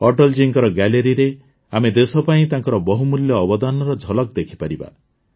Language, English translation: Odia, In Atal ji's gallery, we can have a glimpse of his valuable contribution to the country